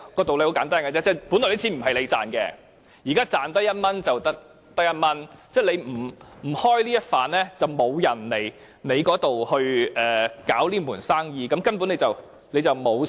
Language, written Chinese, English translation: Cantonese, 道理很簡單，那些錢本來不是你賺到的，現在是賺到1元就得到1元，你不提供優惠，就沒有人在這裏經營這門生意，而你根本不會虧蝕。, The logic is simple . Since you have never made any money out of that business every dollar earned from that business is an extra dollar to you . If you do not provide tax concessions no one is going to run this business here and there will not be any issue of losing out at all